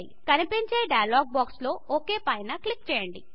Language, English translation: Telugu, Click on OK in the small dialog box that appears